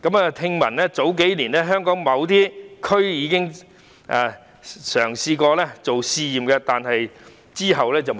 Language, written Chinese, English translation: Cantonese, 據聞，數年前香港某些地區已經嘗試進行類似試驗，最後卻不了了之。, We learnt that similar trials had been conducted in certain areas in Hong Kong several years ago yet the matter was eventually dropped